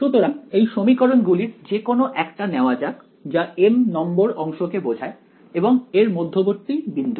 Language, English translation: Bengali, So, let us take one of those equations that corresponded to let us say the mth segment and the midpoint of it right